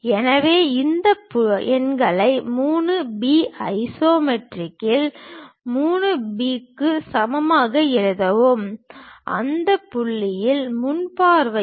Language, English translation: Tamil, So, let me write these numbers 3 B in isometric is equal to 3 B in that view, in the front view